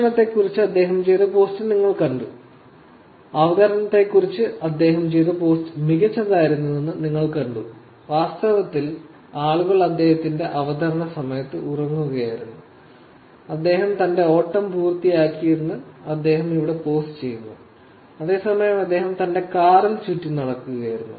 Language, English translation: Malayalam, You saw that the post that he did about food, you saw that the post that he did about the presentation that it went great, while people were actually sleeping, here is actually posting that he just finished his run, whereas he actually going around in his car